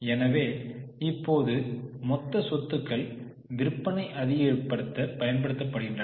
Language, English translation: Tamil, So now the total assets are used to generate sales